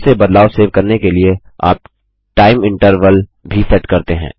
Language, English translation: Hindi, You can also set a time interval to save the changes automatically